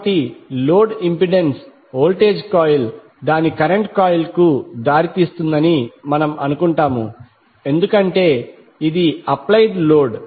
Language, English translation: Telugu, So we assume that the load impedance will cause the voltage coil lead its current coil by Theta because this is the load which is applied